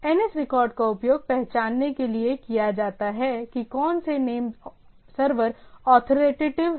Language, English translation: Hindi, The NS records are used to identify which of the name servers are authoritative